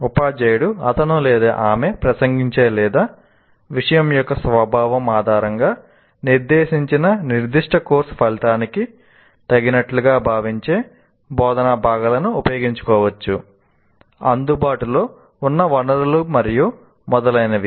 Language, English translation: Telugu, The teacher can make use of any of the instructional components he considers appropriate to the particular course outcome is addressing or based on the nature of the subject as well as the resources that he has and so on